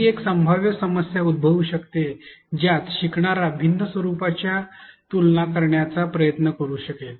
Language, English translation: Marathi, Another possible problem which may arise is that learner may try to compare the different formats